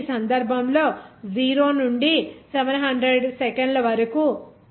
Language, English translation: Telugu, So, in this case as for time 0 to 700 seconds